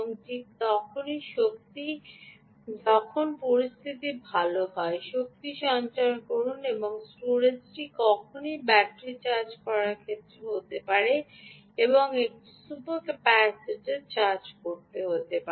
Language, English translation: Bengali, when conditions are good, store the energy and the storage can be in terms of charging a battery and charge a super capacitor